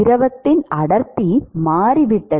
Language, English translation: Tamil, Density of the fluid has changed